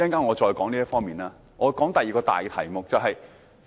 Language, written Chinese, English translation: Cantonese, 我先談談第二個大題目。, Let me switch to the second major topic